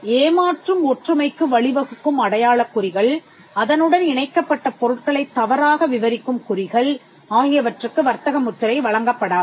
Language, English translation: Tamil, Marks that lead to deceptive similarity, marks which misdescribes the goods attached to it will not be granted trademark